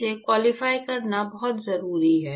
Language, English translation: Hindi, It is very important to qualify this